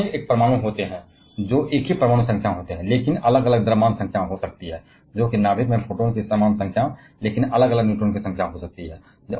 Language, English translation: Hindi, An isotopes are atoms which of the same atomic number but may have different mass number that is they have the same number of proton in the nucleus but may have varying number of neutrons